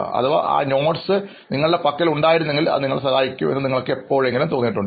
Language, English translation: Malayalam, And did you ever feel the need to, if I had those notebooks and that notes right now, it would have helped me out